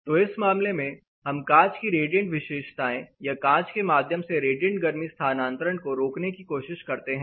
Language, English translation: Hindi, So, in that case we try and restrict the radiant property or the radiant transfer through the glass as well